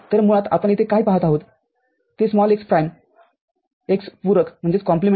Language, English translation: Marathi, So, basically what you see here is x prime x complement